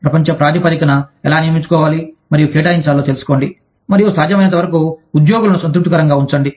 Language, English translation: Telugu, Learn, how to recruit and assign, on a global basis, and keep employees as satisfied, as possible